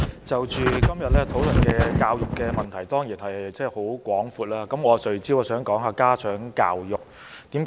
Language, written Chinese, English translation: Cantonese, 代理主席，今天討論教育的問題，範圍當然十分廣闊，我想聚焦談談家長教育。, Deputy President the scope of our discussion today which concerns education is surely very wide . I would like to focus my speech on parental education